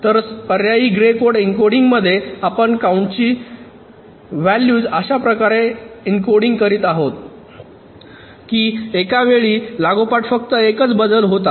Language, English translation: Marathi, ok, so in the alternate grey code encoding we are encoding the count values in such a way that across successive counts, only one bit is changing at a time